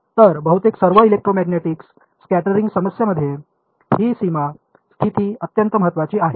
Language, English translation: Marathi, So, this boundary condition is very important in almost all electromagnetic scattering problems